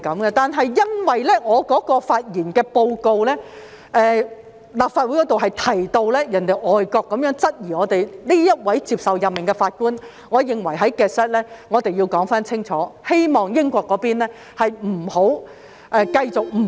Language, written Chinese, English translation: Cantonese, 不過，由於在我剛才提出的報告中，曾指立法會提到有外國質疑這位接受任命的法官，所以我認為要在 Hansard 清楚說明，希望英國不要繼續誤會。, Yet in the report I have just presented it is pointed out that the Legislative Council has mentioned the query raised by foreign countries about the appointment of this judge so I consider it necessary to state clearly in Hansard hoping UK will not continue to misunderstand this